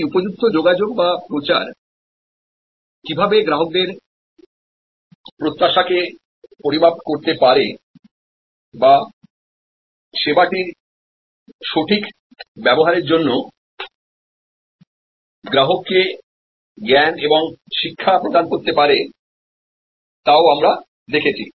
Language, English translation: Bengali, We also looked at how promotion can calibrate, the customer expectation or can provide knowledge and education to the customer for proper utilization of the service